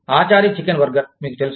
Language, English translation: Telugu, Achari chicken burger, you know